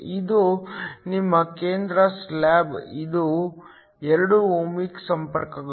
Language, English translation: Kannada, This is your central slab it is 2 ohmic contacts